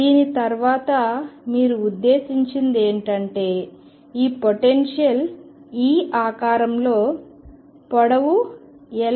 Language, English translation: Telugu, What you mean by that is this potential is of this shape with a potential being 0 over a length L